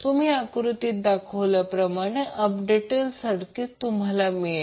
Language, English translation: Marathi, You will get the updated circuit as shown in this figure